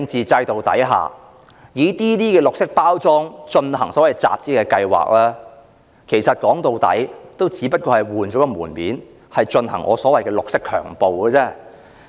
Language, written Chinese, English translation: Cantonese, 在專制的政治制度下，以綠色包裝進行所謂集資的計劃，說到底只不過是換個門面，進行我所謂的"綠色強暴"而已。, Under the autocratic political system packaging the so - called fund - raising plan with green concepts is in the final analysis just giving it a guise to inflict green rape as I named it